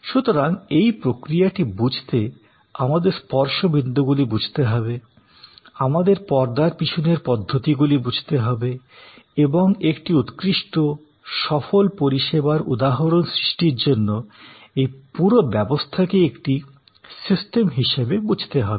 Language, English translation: Bengali, To understand this process therefore, we have to understand the touch points, we have to understand all the background processes and understand this entire thing as a system to create a good successful service instance